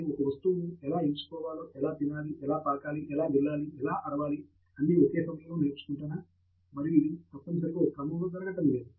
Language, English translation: Telugu, I was trying to learn how to pick an object, how to eat, how to crawl, how to pinch, how to scream everything at the same time and this not necessarily happening in a sequence